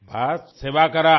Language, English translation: Hindi, Just keep serving